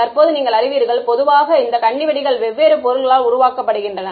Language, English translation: Tamil, Now you know typically these landmines are made out of different material right